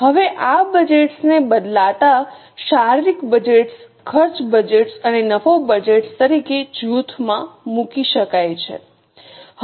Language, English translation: Gujarati, Now these budgets can in turn be grouped as physical budgets, cost budgets and profit budgets